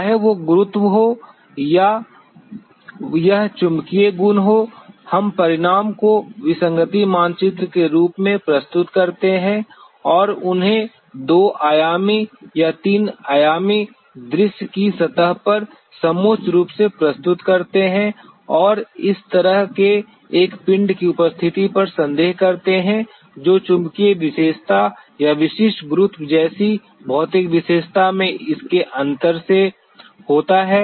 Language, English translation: Hindi, Whether it is a gravity or it is magnetic property we present the the result in the form of the anomaly map, and contouring them on the surface of a 2 dimensional or 3 dimensional view and suspect the presence of such kind of a body which by virtue of its difference in the physical property like a magnetic property or the specific gravity